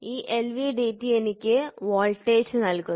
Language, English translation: Malayalam, This LVDT in turn gives me voltage